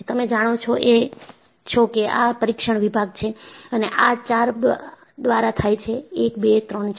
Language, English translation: Gujarati, You know, this is the test section and this is supported by four points; one, two, three and four